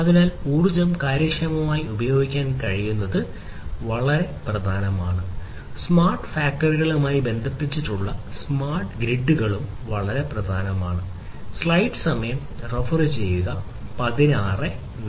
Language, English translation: Malayalam, So, being able to efficiently use the energy is very important and smart grid is having smart grids connected to the smart factories is very important